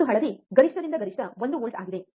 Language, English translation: Kannada, And yellow one is peak to peak is 1 volt